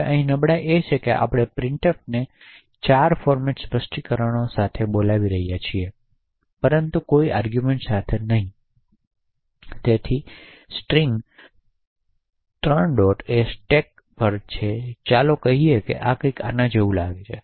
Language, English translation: Gujarati, Now the vulnerability here is that we are invoking printf with 4 format specifiers but with no arguments at all, so the string…the stack let us say would look something like this